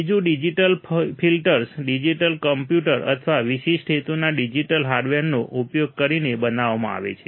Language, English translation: Gujarati, Second, digital filters are implemented using digital computer or special purpose digital hardware